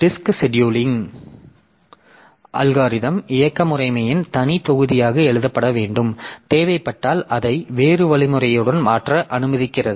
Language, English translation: Tamil, The disk scheduling algorithm should be written as a separate module of the operating system allowing it to be replaced with a different algorithm if necessary